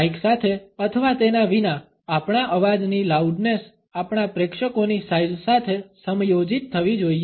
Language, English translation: Gujarati, The loudness of our voice with or without a mike should be adjusted to the size of our audience